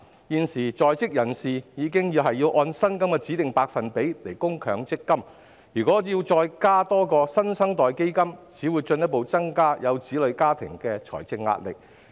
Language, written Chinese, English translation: Cantonese, 現時在職人士已須按薪金的指定百分比供強制性公積金，如果再增設"新生代基金"，只會進一步增加有子女家庭的財政壓力。, Presently working people are already required to make Mandatory Provident Fund contributions equal to a specified percentage of their salary . The introduction of the New Generation Fund will only add to the financial burden on families with children